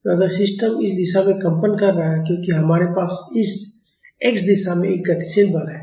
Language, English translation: Hindi, So, if the system is getting vibrated in this direction because we have a dynamic force in this x direction